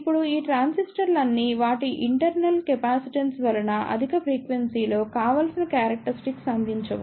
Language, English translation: Telugu, Now, all these transistors do not provide a desirable characteristic at higher frequency is due to their internal capacitance